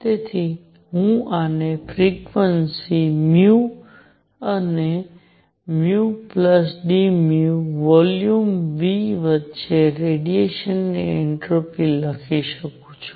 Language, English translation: Gujarati, So, I can write this entropy of radiation between frequency nu and nu plus d nu, right, in volume V